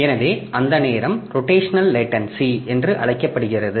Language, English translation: Tamil, So, that time is called the rotational latency